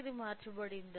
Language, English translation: Telugu, It has changed right